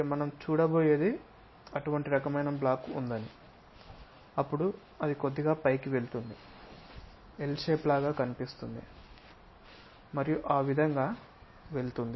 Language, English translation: Telugu, What we are going to see is; here there is such kind of block that is this, then it goes little bit up comes like L shape and goes via in that way and it comes there